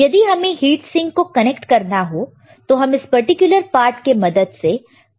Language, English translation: Hindi, If you want to connect the heat sink, then you can connect it using this particular part